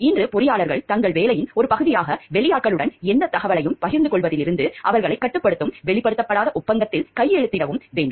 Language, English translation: Tamil, Engineers today as a part of their job are required to sign a nondisclosure agreement which binds them from sharing any information with outsiders